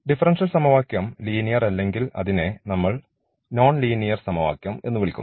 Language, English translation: Malayalam, So, then we have the linear equation and if the differential equation is not linear then we call the non linear equation